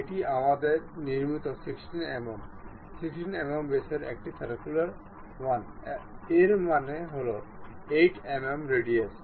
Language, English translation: Bengali, This is a circular one of 16 mm we construct, 16 mm diameter; that means, 8 mm radius